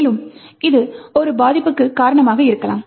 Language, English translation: Tamil, And, this could be a reason for a vulnerability